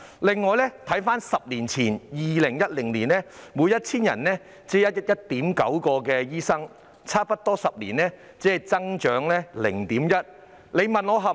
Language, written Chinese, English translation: Cantonese, 回顧10年前的數字是每 1,000 人只有 1.9 名醫生，差不多10年後只增加了 0.1 名。, in 2010 there were only 1.9 doctors for every 1 000 people so the number has merely increased by 0.1 after almost 10 years